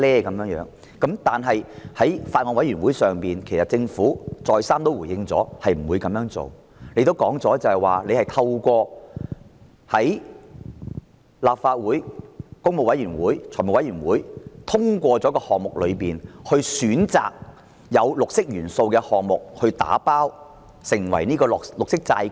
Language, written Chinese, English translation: Cantonese, 但是，政府在小組委員會再三回應不會這樣做，並指出會在立法會工務小組委員會和立法會財務委員會通過的項目中，選擇有"綠色元素"的項目"打包"發行綠色債券。, Yet the Government has responded repeatedly to the Subcommittee that it will not do so and pointed out that it will bundle up selected projects with green elements among the projects approved by the Public Works Subcommittee and Finance Committee of the Legislative Council for green bond issuance